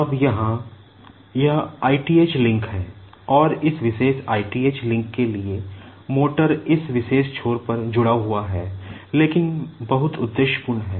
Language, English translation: Hindi, Now, here, this is the i th link and for this particular i th link, the motor is connected at this particular end but very purposefully